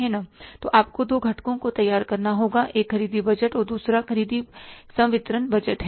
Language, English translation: Hindi, And second part of the purchase budget is the purchase disbursement budget